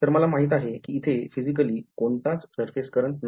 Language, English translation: Marathi, So, I know that physically there are no surface currents